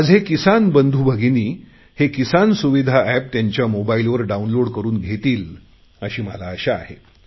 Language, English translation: Marathi, I hope that my farmer brothers and sisters will download the 'Kisan Suvidha App' on their mobile phones